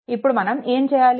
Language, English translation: Telugu, Then what we will do